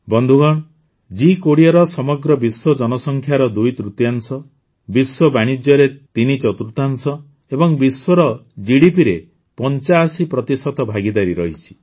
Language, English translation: Odia, Friends, the G20 has a partnership comprising twothirds of the world's population, threefourths of world trade, and 85% of world GDP